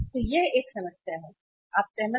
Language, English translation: Hindi, So there is a problem, agreed